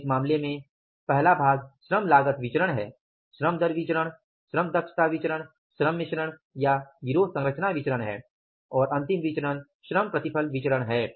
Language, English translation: Hindi, So, in this case, first part is the labor cost variance, labor rate of pay variance, labor efficiency variance, labor mix or the gang composition variance and lastly the variance is labor yield variance